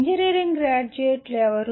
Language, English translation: Telugu, Who are engineering graduates